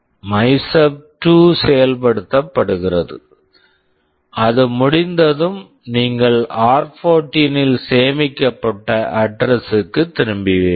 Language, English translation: Tamil, MYSUB2 gets executed and once it is done, you return back to the address stored in r14